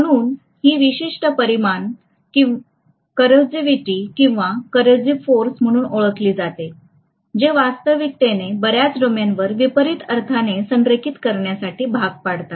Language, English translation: Marathi, So this particular quantity is known as coercivity or coercive force which is actually trying to coerce many of the domains to align into the opposite sense